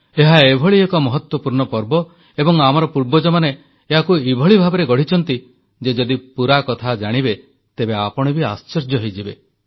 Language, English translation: Odia, See, that's the thing, this is such an important festival, and our forefathers have fashioned it in a way that once you hear the full details, you will be even more surprised